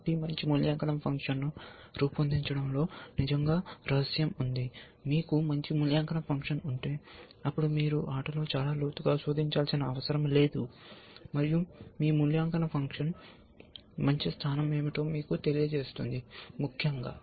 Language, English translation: Telugu, So, really the secret is in devising a good evaluation function, if you have good evaluation function, then you do not have to search very much deep in the game, and you evaluation function itself will tell you what is the good position or not essentially